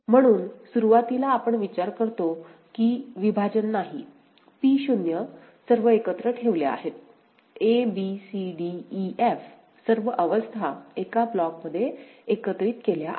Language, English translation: Marathi, So, initially we consider there is no partition, P0 all of them are put together; a b c d e f all the states six states are put together in one block